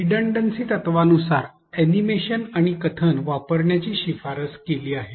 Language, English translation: Marathi, According to the redundancy principle use of animation and narration is recommended